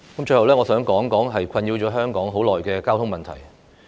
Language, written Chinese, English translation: Cantonese, 最後，我想談談困擾香港很久的交通問題。, Lastly I would like to talk about the traffic problem that has plagued Hong Kong for years